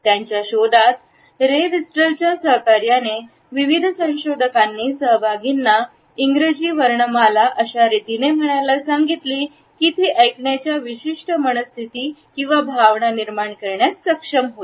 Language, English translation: Marathi, In their findings, in association with ray Birdwhistle, various researchers asked participants to recite the English alphabet in such a way that they are able to project a certain mood or emotion to the listener